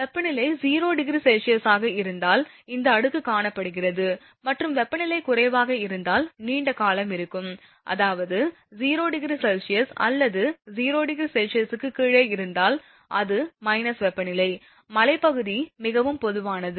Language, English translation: Tamil, This layer is found if temperature is 0 degree centigrade and remain for longer duration if temperature are lower, I mean if it is 0 degree or below 0 degree that is minus temperature, hilly area which is very common